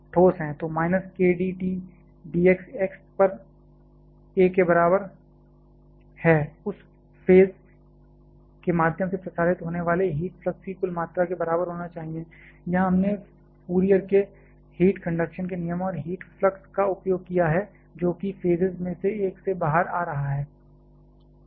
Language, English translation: Hindi, So, minus k d T d x at x is equal to a should be equal to the total amount of heat flux that is getting transmitted through that phase, here we have use the Fourier's law of heat conduction and the heat flux just that is coming out through one of the phases